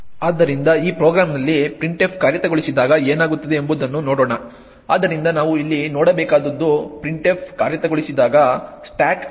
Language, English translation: Kannada, So, let us look at what happens when printf is executing in this program, so what we need to look at over here is the stack when printf executes